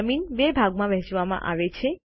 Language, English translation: Gujarati, The ground is divided into two